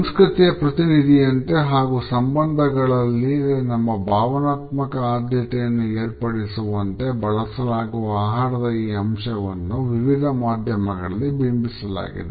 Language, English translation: Kannada, We find that this aspect of food as a representation of culture as well as our emotional preferences within relationships has been portrayed across different types of media